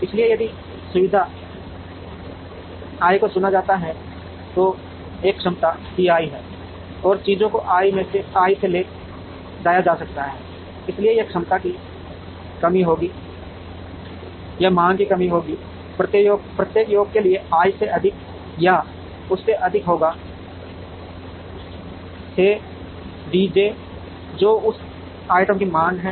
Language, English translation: Hindi, So, if facility i is chosen then, there is a capacity C i and things can be transported from i, so this will be the capacity constraint, this will be the demand constraint, for every j summed over i will be greater than or equal to D j, which is the demand for that item